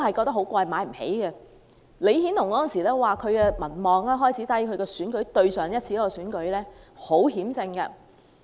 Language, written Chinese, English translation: Cantonese, 當時李顯龍的民望開始低落，在上一次選舉中只是險勝。, The popularity ratings of LEE Hsien - loong began to drop at the time and he only won by a nose in the last election